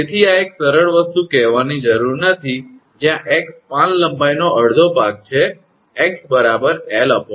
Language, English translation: Gujarati, So, no need to tell this is one a simple thing, where x is half of the span length L by 2